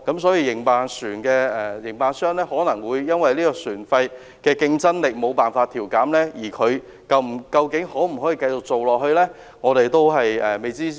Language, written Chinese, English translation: Cantonese, 船的營辦商可能因為船費無法調減而欠缺競爭力，能否繼續經營也是未知之數。, Ferry operators may lack competitiveness as they cannot adjust the charges downward; hence the sustainability of their operation is uncertain